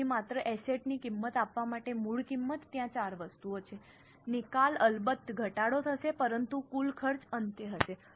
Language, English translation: Gujarati, So, just to give the cost of the asset, the original cost, there are four items, disposal will of course be reduced, but the total will be the cost at the end